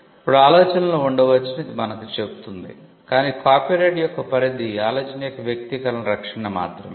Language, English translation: Telugu, Now, this tells us that there could be ideas, but the scope of the copyright is only for the protection of the idea